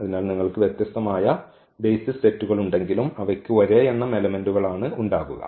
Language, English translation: Malayalam, So, whatever you have different different set of basis, but they will have the same number of elements because that is the n that is a dimension